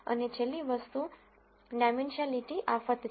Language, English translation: Gujarati, And the last thing is curse of dimensionality